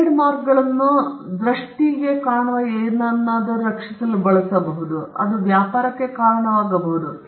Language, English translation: Kannada, Trademarks are used to protect words, symbols that can be attributed to trade